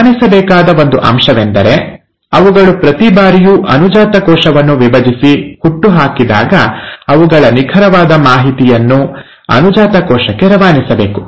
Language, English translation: Kannada, And one point to be noted, is that every time they divide and give rise to the daughter cell, they have to pass on the exact information to the daughter cell